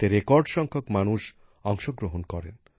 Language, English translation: Bengali, The participation of a record number of people was observed